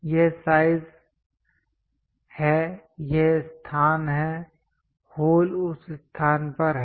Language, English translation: Hindi, This is size and this is location, the hole is at that particular location